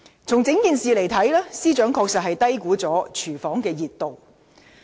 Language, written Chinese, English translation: Cantonese, 從整件事件來看，司長確實低估了"熱廚房"的溫度。, It can be seen from the entire incident that the Secretary for Justice has actually underestimated the temperature of the hot kitchen